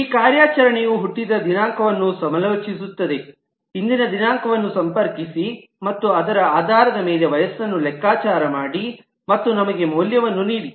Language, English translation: Kannada, This operation will consult the date of birth, consult the date that is today and based on that, compute the age and give us the value